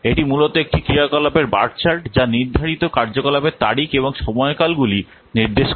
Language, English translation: Bengali, This is essentially an activity bar chart which indicates the scheduled activity dates and the durations